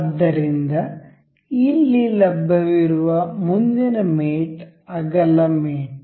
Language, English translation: Kannada, So, the next mate available over here is width mate